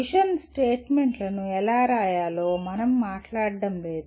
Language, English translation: Telugu, We are not talking about how to write mission statements